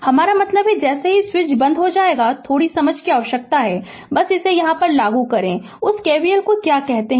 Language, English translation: Hindi, I mean as soon as the switch is closed, little bit understanding is required, you you apply here this your, what you call that your KVL